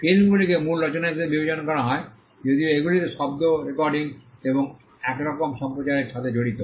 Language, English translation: Bengali, Films tend to be regarded as original works though they involve sound recording and some kind of broadcasting